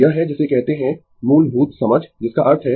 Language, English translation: Hindi, This is the, your what you call basic understand that means